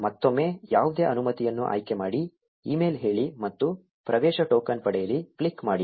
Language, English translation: Kannada, Again select any permission, say email, and click ‘Get Access Token’